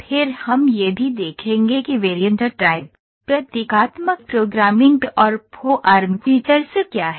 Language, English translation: Hindi, Then we will also see what is variant type, symbolic forming and symbolic programming and form features